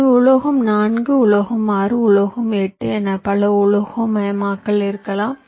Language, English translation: Tamil, so metal four, metal six, metal eight, so many, metallization